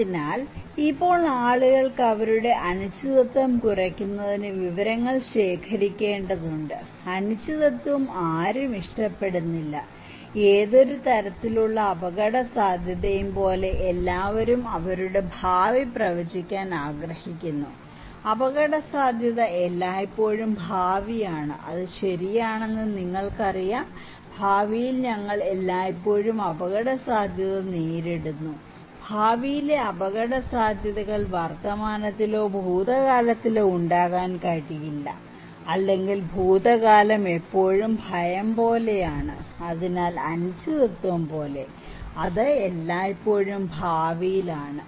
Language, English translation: Malayalam, So, now people need to collect information in order to reduce their uncertainty, no one likes uncertainty, everyone wants to predict their future, like any kind of risk; risk is always future you know that is true, we always face risk in future, future risks cannot be in present or past is always in future like fear, so like uncertainty so, it is always in future